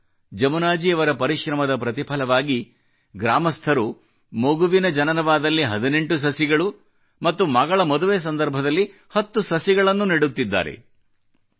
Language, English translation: Kannada, It is a tribute to Jamunaji's diligence that today, on the birth of every child,villagersplant 18 trees